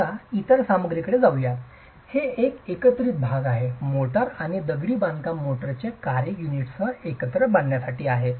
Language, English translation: Marathi, Let's move on to the other material which is part of the composite, the mortar and the function of the masonry motor is to bind the units together